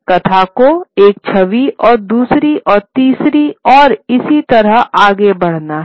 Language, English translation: Hindi, The narrative has to move from one image to the next and to the next and so on